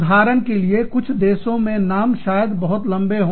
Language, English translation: Hindi, For example, in some countries, the names may be much, might be much longer